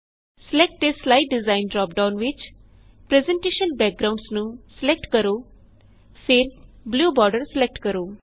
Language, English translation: Punjabi, In the Select a slide design drop down, select Presentation Backgrounds